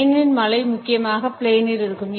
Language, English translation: Tamil, The rain in Spain stays mainly in the plane